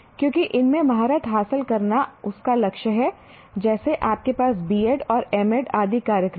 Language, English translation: Hindi, Because mastering these is the goal of what you call you have programs like B ed and MED and so on